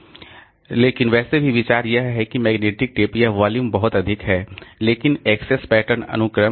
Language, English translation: Hindi, But anyway, the idea is that this magnetic tape this is the volume is very high but the access pattern is sequential